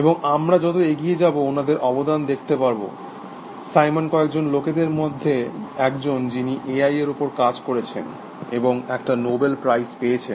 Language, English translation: Bengali, And we will see, their contribution as we go along, Simon also one of the few people, who works in A I, whose got a Nobel prize